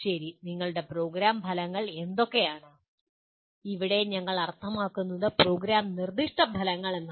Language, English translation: Malayalam, Okay, what are your Program Outcomes, here we mean Program Specific Outcomes